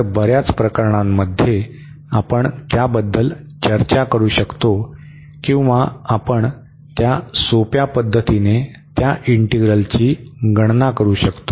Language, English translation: Marathi, So, in many cases we can discuss that or we can compute that integral in a very simple fashion